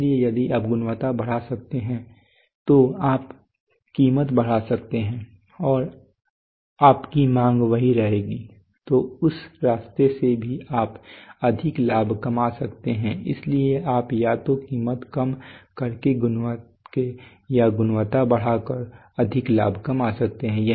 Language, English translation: Hindi, So if you can enhance quality then you can increase the price and your demand will remain more or less same so through that path also you can make more profit right, so you can make more profit either by cutting down the price or by increasing the quality and charging more price both ways